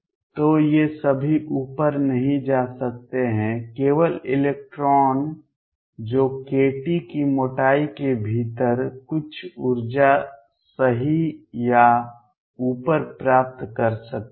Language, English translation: Hindi, So, all these cannot move up, only electron that can gains gain some energies right or top within a thickness of k t